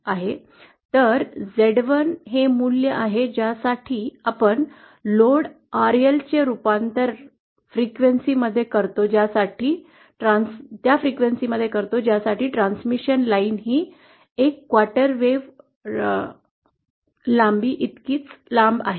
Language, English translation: Marathi, So Z 1 is the value to which we convert the load RL at the frequency for which the transmission line is a quarter wave length